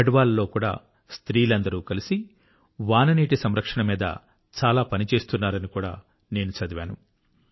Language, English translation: Telugu, I have also read about those women of Garhwal, who are working together on the good work of implementing rainwater harvesting